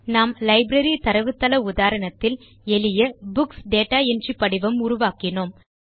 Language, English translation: Tamil, We created a simple Books data entry form in our example Library database